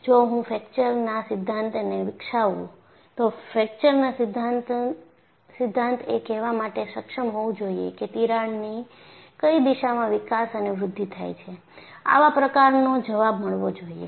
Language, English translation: Gujarati, If I develop a fracture theory, the fracture theory should be able to say how many cracks are there, in which direction it should develop and grow, we should have that kind of an answer